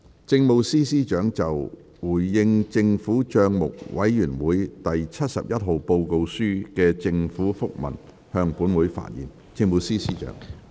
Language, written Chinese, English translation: Cantonese, 政務司司長就"回應政府帳目委員會第七十一號報告書的政府覆文"向本會發言。, The Chief Secretary for Administration will address the Council on The Government Minute in response to the Report of the Public Accounts Committee No . 71